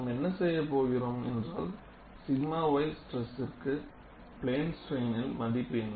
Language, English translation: Tamil, What we are going to do is; what is the value of the sigma y stress in plane strain